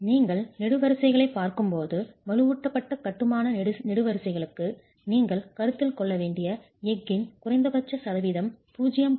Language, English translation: Tamil, When you are looking at columns, the minimum percentage of steel that you must consider for reinforced masonry columns is 0